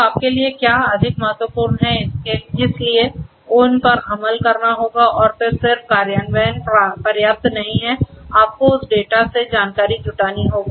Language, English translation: Hindi, So, what is more important for you; so those will have to be implemented and then just mere implementation is not sufficient you will have to from the data you will have to gather the information